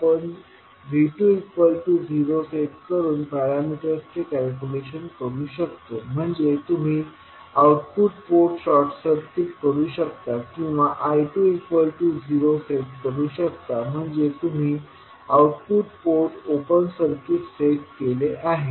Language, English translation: Marathi, The parameters we can calculate by setting V 2 is equal to 0 that means you set the output port as short circuited or I 2 is equal to 0 that means you set output port open circuit